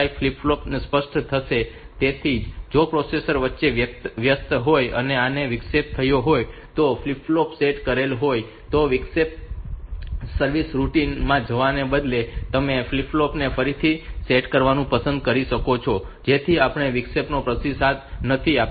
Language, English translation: Gujarati, 5 flip flop will be clear, so even if I was when the processor was busy the inter the interrupt has occurred and the flip flop is set so instead of going into the interrupt service routine, so you may just like to reset that flip reset that flip flop so that we do not into respond to the interrupt